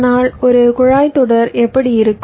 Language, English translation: Tamil, but how a pipeline looks like